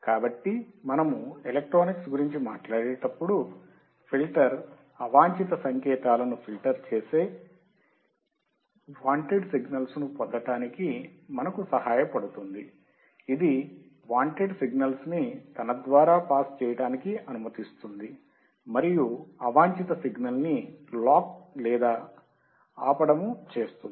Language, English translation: Telugu, So, it will filter out the unwanted signals when you talk about electronics, and it will help us to get the wanted signals, it will allow the wanted signal to pass, and unwanted signal to lock or stop